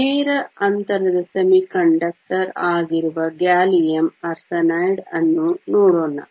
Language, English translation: Kannada, Let us look at gallium arsenide which is a direct gap semiconductor